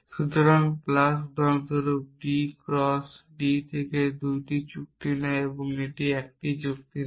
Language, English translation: Bengali, So, plus for example, is D cross D to D essentially it takes 2 agreements and it gives one agreements